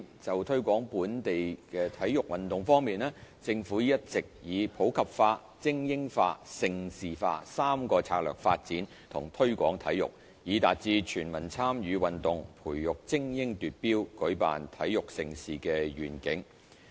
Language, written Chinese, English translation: Cantonese, 就推廣本地體育運動方面，政府一直以普及化、精英化、盛事化三大策略發展和推廣體育，以達至"全民參與運動，培訓精英奪標，舉辦體育盛事"的願景。, As regards promoting local sports the Government has all along been adopting a three - pronged strategy to develop and promote sports to realize the vision of promoting sports for the community training elite athletes for competition and making Hong Kong a centre for major sports events